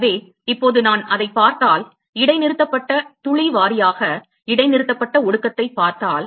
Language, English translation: Tamil, So, now, if I look at the, if I look at the suspended drop wise suspended condensation